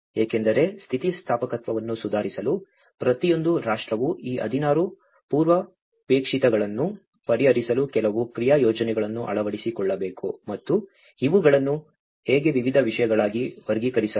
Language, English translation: Kannada, Because in order to improve the resilience each and every nation has to incorporate certain action plans in order to address these 16 prerequisites and how these are grouped into different themes